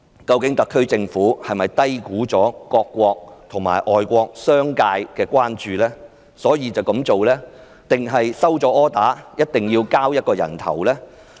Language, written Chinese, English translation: Cantonese, 究竟特區政府是低估了各國政府及外國商界的關注才這樣做，還是收到命令，非要"人頭落地"不可？, Did the SAR Government took the action because it had underestimated the concerns of the governments or business sectors of foreign countries or was the SAR Government ordered to take action so as to ensure that someone had to pay a price?